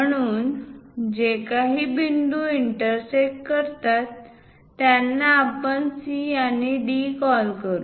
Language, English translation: Marathi, So, whatever the points intersected; let us call C and D